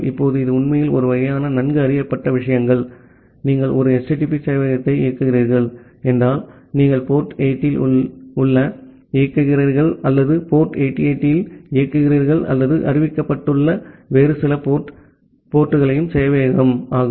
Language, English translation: Tamil, Now, that is actually a kind of well known things, like say you know that if you are running a HTTP server, then you are either running at port 80 or you are running at port 8080 or some other ports which is being announced by the server